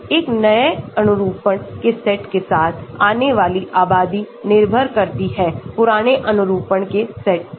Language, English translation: Hindi, coming up with new set of conformation based on the population of old set of conformation